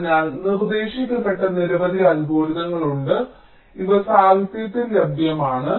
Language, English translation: Malayalam, ok, fine, so there are a number of algorithms which have been proposed, and these are available in the literature